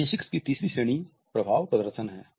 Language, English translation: Hindi, The third category of kinesics is effective displays